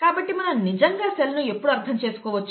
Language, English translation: Telugu, So when can we understand the cell really